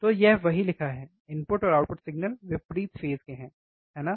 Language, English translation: Hindi, So, this is what is written input and output signals are out of phase, right